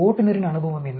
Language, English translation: Tamil, What is the driver’s experience